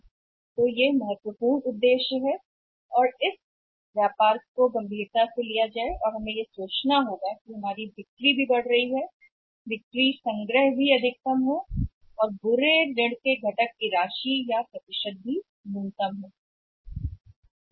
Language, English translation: Hindi, So, that is important objective that this trade off has to be taken seriously and we should think about that your sales are also going up sales collections are also maximum and the amount or the percentage of the component of the bad debts is also minimum